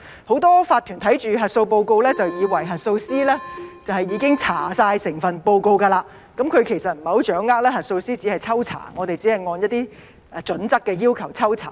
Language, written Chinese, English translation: Cantonese, 很多法團看到核數報告，就以為核數師已經查核整份報告，其實不太掌握核數師只是抽查，只是按一些準則抽查。, For many OCs once they read the audit reports they assume that the auditors had checked the whole report . They do not quite understand that the auditors only do spot checks according to some criteria